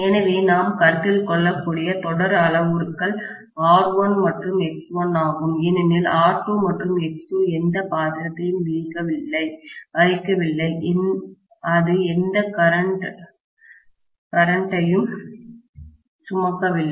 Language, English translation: Tamil, So the series parameters that we can even consider is R1 and X1 because R2 and X2 don’t even have any role to play, it is not even carrying any current